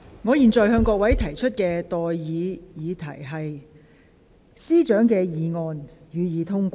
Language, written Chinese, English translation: Cantonese, 我現在向各位提出的待議議題是：政務司司長動議的議案，予以通過。, I now propose the question to you and that is That the motion moved by the Chief Secretary for Administration be passed